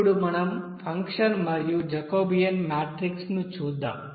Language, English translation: Telugu, Now let us see what should be the function and also Jacobian matrix